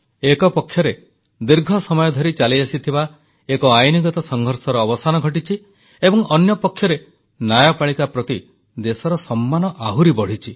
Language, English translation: Odia, On the one hand, a protracted legal battle has finally come to an end, on the other hand, the respect for the judiciary has grown in the country